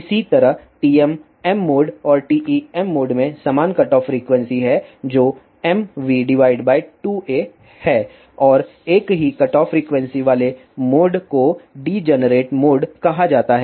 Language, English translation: Hindi, Similarly, TM m mode and TE m mode have same cutoff frequency which is mv by 2 a and the modes with same cutoff frequency are called as degenerate modes